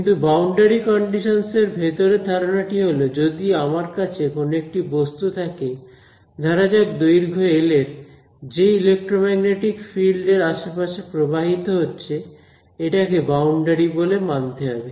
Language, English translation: Bengali, But again what is an intuitive idea behind boundary condition, is that if I have let us say an object over here, let us say size L the electromagnetic field that is flowing around this object, it has to sort of respect this boundary